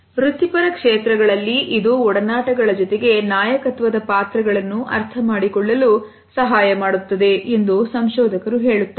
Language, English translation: Kannada, Researchers tell us that in professional settings it helps us to understand the associations as well as leadership roles